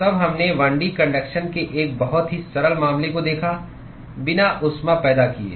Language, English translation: Hindi, Then we looked at a very simple case of 1 D conduction, without heat generation